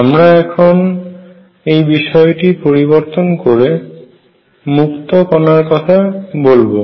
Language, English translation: Bengali, We are going to now change and talk about free particles